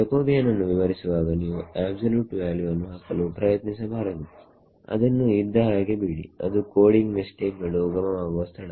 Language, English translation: Kannada, In the definition of Jacobian you should not try to put an absolute value over there let it be what it is that is the source of lots of coding mistakes fine